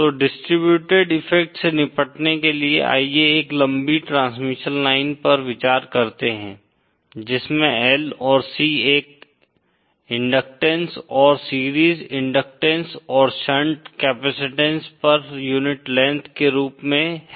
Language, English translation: Hindi, So to deal with a distributed effect, let us consider a long transmission line which has L and C as an inductance, series inductance and shunt capacitances per unit length